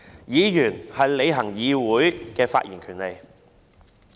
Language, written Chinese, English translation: Cantonese, 議員是行使在議會內發言的權利。, Members are exercising their right of expression in the legislature